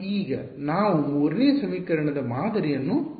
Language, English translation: Kannada, Now let us see the pattern 3rd equation